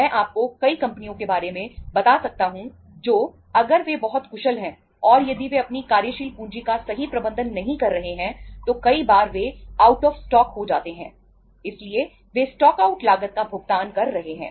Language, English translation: Hindi, I can tell you number of companies who if they are very efficient and if they are not properly managing their working capital, many times they are out of stock